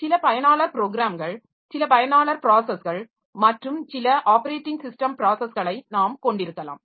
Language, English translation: Tamil, So, we can have some user programs and some user processes and some system operating system processes